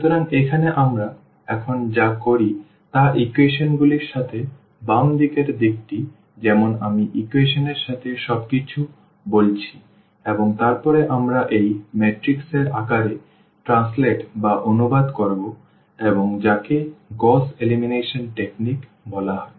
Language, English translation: Bengali, So, here what we do now that the left hand side with the equations as I said also everything with the equation and then we will translate into the form of this matrix and so called the Gauss elimination technique